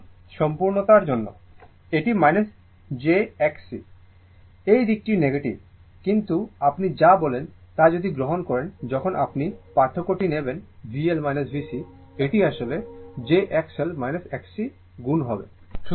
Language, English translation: Bengali, This is just for the sake of completeness, this is minus j X C I this side is negative side that is why minus, but when you will take the your what you call when you will take the difference V L minus V C, it will be actually j X L minus X C into I right